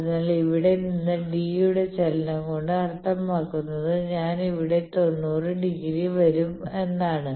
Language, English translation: Malayalam, So, from here a movement of d means I will come ninety degree here